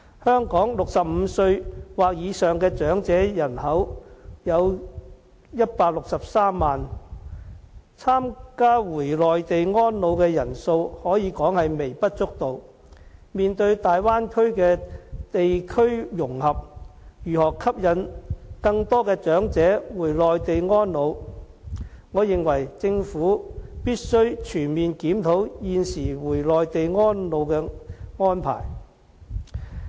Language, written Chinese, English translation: Cantonese, 香港65歲或以上的長者人口有163萬人，參加回內地安老的人數可說是微不足道，面對大灣區的地區融合，如何吸引更多長者回內地安老，我認為政府必須全面檢討現時回內地安老的安排。, The population of elderly people aged 65 and above in Hong Kong is 1.63 million . One may say that the number of elderly people who opt to spend their twilight years on the Mainland is negligible . With regards to the imminent integration of the Bay Area as well as the question of attracting elderly people to spend their post - retirement lives on the Mainland I consider the Government should conduct a comprehensive review on the existing arrangement for elderly people to retire and reside on the Mainland